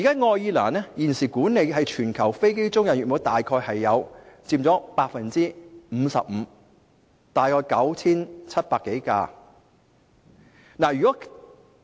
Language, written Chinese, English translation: Cantonese, 愛爾蘭現時管理約 55% 的全球飛機租賃服務，大約 9,700 多架飛機。, Ireland now manages over 9 700 aircraft which account for about 55 % of the aircraft leasing services worldwide